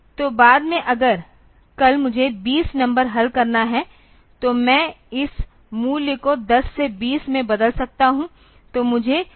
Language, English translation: Hindi, So, that later on if tomorrow I have to solve 20 number; so, I can just change this value from 10 to 20 ok